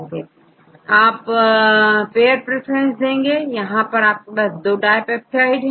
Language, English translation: Hindi, In this case you can get the pair preference because we had 2 dipeptides